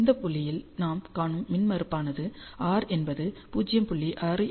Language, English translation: Tamil, So, the impedance that we see which is r is equal to 0